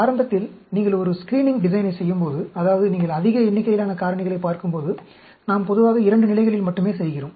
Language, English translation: Tamil, Initially, when you are doing a screening design, that means, when you are looking at large number of factors, we generally do it at 2 levels only